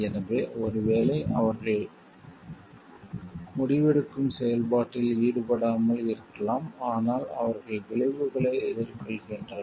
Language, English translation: Tamil, So, maybe they are not involved in the decision process so, but they face the consequences